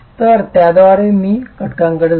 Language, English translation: Marathi, So, with that let me move on to elements